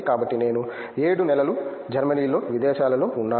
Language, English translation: Telugu, So, I was abroad in Germany for 7 months